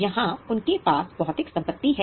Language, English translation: Hindi, Do they have physical assets